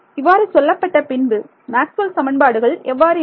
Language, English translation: Tamil, Nothing special about Maxwell’s equations right